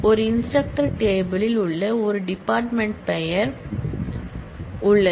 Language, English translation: Tamil, An instructor table has a department name